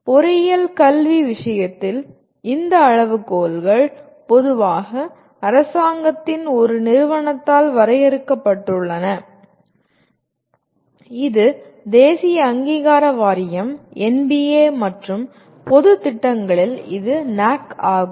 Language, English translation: Tamil, These criteria are generally defined by an agency of the government in case of engineering education, it is National Board of Accreditation and in case of general programs it is NAAC